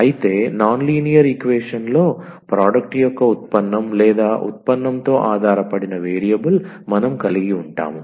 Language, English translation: Telugu, So, in the non linear one the product of the derivative or the dependent variable with the derivative we will exist